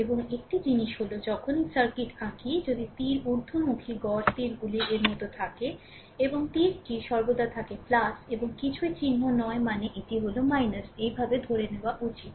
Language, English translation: Bengali, And one thing is there look whenever we are drawing circuit, if I show arrow upward I mean arrow like these and arrow is always plus and nothing is mark means this is minus right this way you have to assume